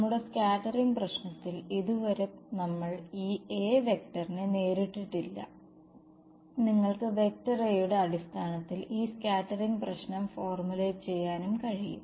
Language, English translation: Malayalam, In our scattering problem so, far we have not encountered this A vector right you can also formulate this scattering problem in terms of the A vector ok